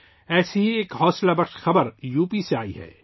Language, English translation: Urdu, One such encouraging news has come in from U